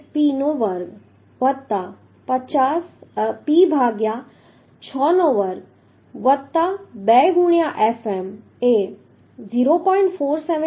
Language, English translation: Gujarati, 478P square plus P by 6 square plus 2 into Fm is 0